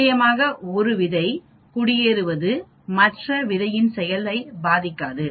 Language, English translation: Tamil, Of course 1 seed settling down is not going to effect the other seeds action